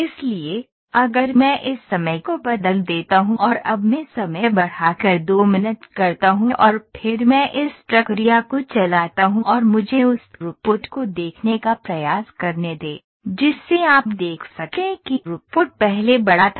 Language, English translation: Hindi, So, if I change this time now I increase the time to 2 minutes now I run the process and let me try to see the throughput here you can see the throughput was larger before